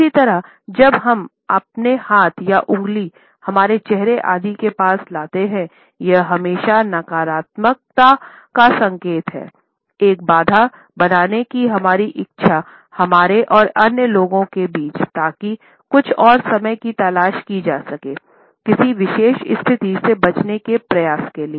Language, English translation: Hindi, Similarly, we find that when we bring our hand or our finger across our face, etcetera, it is always an indication of a negativity, of our desire to create a barrier between us and other people an attempt to seek some more time, an attempt to avoid a particular situation